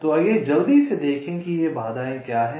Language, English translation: Hindi, so let us quickly see what are these constraints